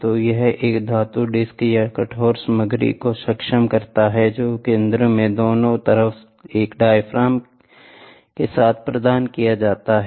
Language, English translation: Hindi, So, this enables a metal disc or rigid material is provided at the center with a diaphragm on either side